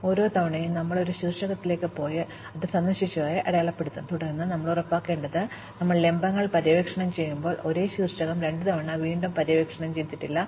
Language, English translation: Malayalam, Each time, we went to a vertex, we would mark it as visited, and then we have to make sure, that when we were exploring vertices, we did not re explore the same vertex twice